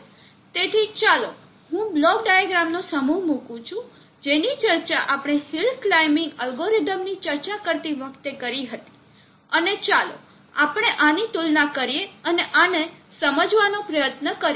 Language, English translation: Gujarati, So let me put up the set of block diagram that we had discussed while discussing the hill climbing algorithm and let us compare and try to understand this